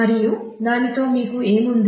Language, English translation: Telugu, And with that what you have